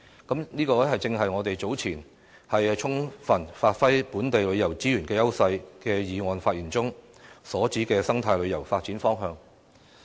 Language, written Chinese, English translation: Cantonese, 這正是我早前就"充分發揮本地旅遊資源的優勢"的議案發言中，所指的生態旅遊發展方向。, This is essentially the direction for the development of eco - tourism I referred to during my speech on the motion regarding Giving full play to the edges of local tourism resources